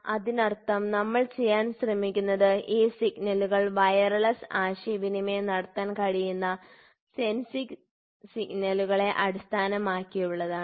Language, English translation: Malayalam, So that means, to say here what we are trying to do is based upon the sensing signals these signals can be wireless communicated